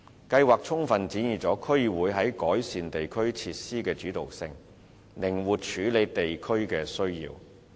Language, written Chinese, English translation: Cantonese, 計劃充分展現區議會在改善地區設施的主導性，靈活處理地區需要。, The scheme has fully demonstrated the leading role of DCs in the improvement of district facilities allowing flexibility in addressing district needs